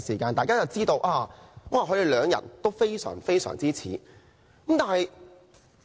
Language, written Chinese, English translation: Cantonese, 大家就知道他們兩人非常相似。, Members can tell that they are very alike